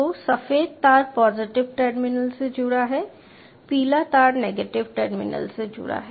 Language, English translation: Hindi, so the white wire is connected to the positive terminal, the yellow wire is connected to the negative terminal